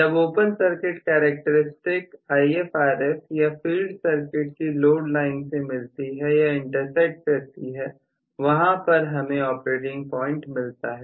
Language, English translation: Hindi, So, where ever this open circuit characteristics is intersecting with the IfRf or load line of the field circuit that is where I am going to arrive at really the operating point